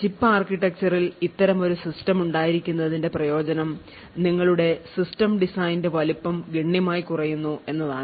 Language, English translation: Malayalam, Now the advantage of having such a System on Chip architecture is that a size of your complete design is reduced considerably